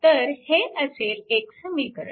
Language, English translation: Marathi, So, this will be your one equation right